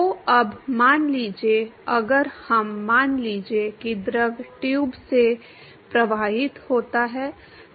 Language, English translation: Hindi, So, now, suppose if we; let us say the fluid flows in to the tube